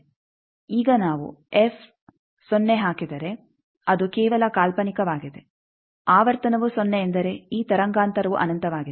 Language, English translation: Kannada, Now, if we put frequency 0 it is just hypothetically frequency 0 means this wavelength is infinity